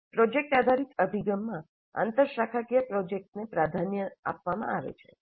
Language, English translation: Gujarati, Interdisciplinary projects are preferred in the project based approach